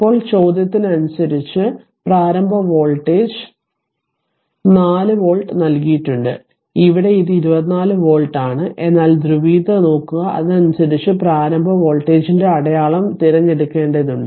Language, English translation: Malayalam, So, now question is and initial voltage that is given 4 volt and here it is 24 volt right, but look at the polarity and accordingly we have to choose the sign of that what you call that initial voltage